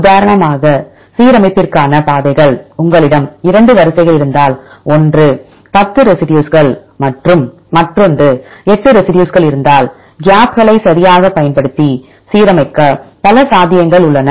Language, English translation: Tamil, Then we discussed about the pathways for alignment for example, if you have 2 sequences one is of 10 residues and another with eight residues, there are several possibilities to align using the inclusion of gaps right